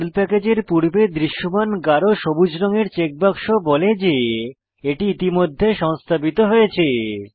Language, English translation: Bengali, The green color solid filled checkbox before a PERL package indicates that it is already installed